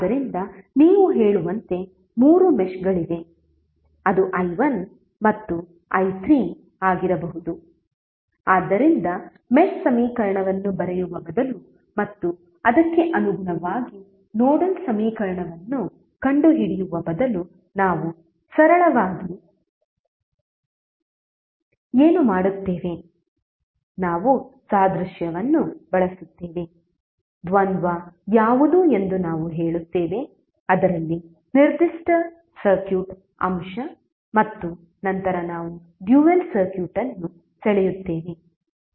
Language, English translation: Kannada, So you say that there are 3 meshes that is i1 may be i2 and i3, so rather then writing the mesh equation and correspondingly finding out the nodal equation what we will simply do we will simply use the analogy, we will say what is the dual of which particular circuit element and then we will draw the dual circuit